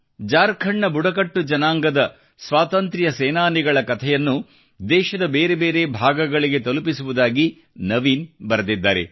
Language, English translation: Kannada, Naveen has written that he will disseminate stories of the tribal freedom fighters of Jharkhand to other parts of the country